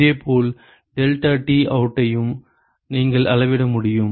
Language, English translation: Tamil, And similarly deltaT out also you should be able to measure